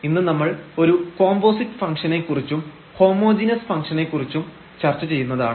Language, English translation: Malayalam, And, today we will be discussing about a Composite Functions and Homogeneous Functions